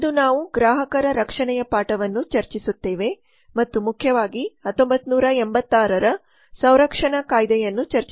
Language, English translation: Kannada, today we will discuss the lesson on customer protection and will mainly discuss the consume protection act 1986